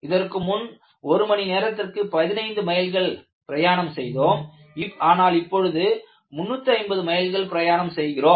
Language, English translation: Tamil, I said that we were traveling at 15 miles per hour, now 350 miles per hour